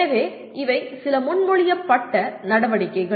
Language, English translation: Tamil, So these are some proposed activities